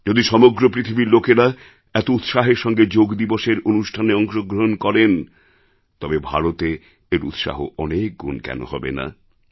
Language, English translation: Bengali, If people from the entire world ardently participated in programmes on Yoga Day, why should India not feel elated many times over